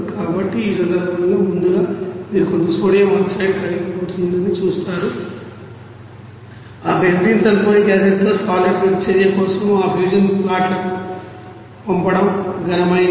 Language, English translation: Telugu, So in this case first of all you will see that some sodium oxide will be melted from it is solid to you know send to that fusion pots for the reaction with that you know benzene suphonic acid